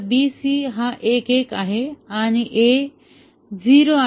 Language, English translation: Marathi, Now BC are 1 1 and A is 0